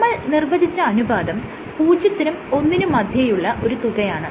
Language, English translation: Malayalam, You have a ratio you have defined the ratio, which is bounded between 0 and 1